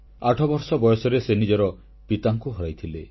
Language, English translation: Odia, When he turned eight he lost his father